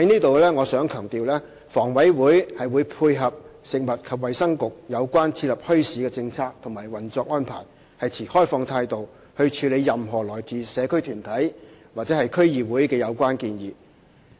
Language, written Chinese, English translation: Cantonese, 我想在此強調，房委會會配合食物及衞生局有關設立墟市的政策和運作安排，持開放的態度處理任何來自社區團體或區議會的有關建議。, I would like to emphasize here that HA will cope with the policy and operational arrangement of the Bureau in relation to the policy on setting up bazaars and adopt an open - minded attitude in dealing with the relevant proposals put forward by community organizations or District Councils